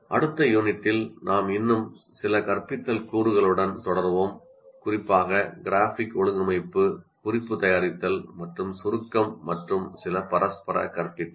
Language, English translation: Tamil, And in the next unit, we'll continue with some more instructional components, especially graphic organizers, note making, andizing and some reciprocal teaching